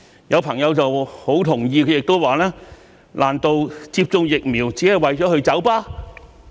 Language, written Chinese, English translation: Cantonese, 有朋友很同意，他亦說："難道接種疫苗只是為了去酒吧？, A friend fully agreeing with me also said Could it be that vaccination serves the sole purpose of pub - going?